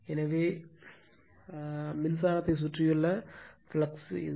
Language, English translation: Tamil, So, this is that your flux surrounding current right